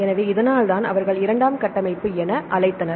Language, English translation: Tamil, So, this is why they called a secondary structure